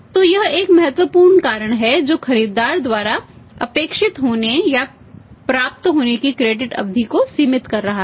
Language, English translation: Hindi, So, this is the one important reason which is limiting the credit period to be expected or to be enjoyed by the buyer